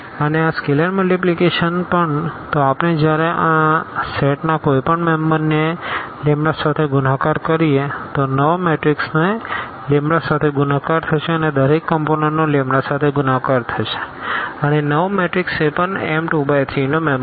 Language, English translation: Gujarati, And, also the scalar multiplication; so, when we multiply any member of this set here by lambda the new matrix will be just multiplied by lambda each component will be multiplied by lambda and again, this new matrix will be also a member of this set here M 2 3